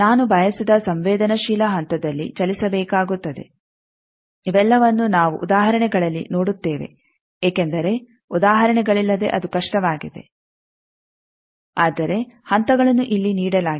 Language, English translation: Kannada, I will have to move at the desired susceptance point all these, we will see in the examples because without examples it is difficult, but the steps are given here